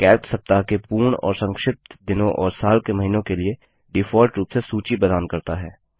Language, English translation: Hindi, Calc provides default lists for the full and abbreviated days of the week and the months of the year